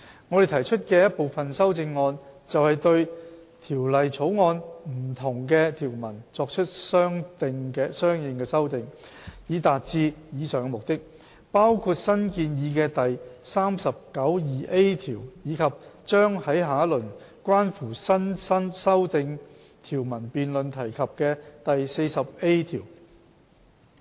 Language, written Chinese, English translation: Cantonese, 我們提出的一部分修正案，便是對《條例草案》不同的條文作出的相應修訂，以達致以上目的，包括新建議的第39條，以及將在下一輪關乎新訂條文辯論提及的第 40A 條。, Some of our proposed amendments make consequential amendments to different provisions of the Bill to achieve the aforementioned purpose including the newly proposed clause 392A and clause 40A which will be mentioned in the next debate on new provisions